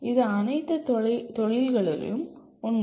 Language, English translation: Tamil, This is also true of all industries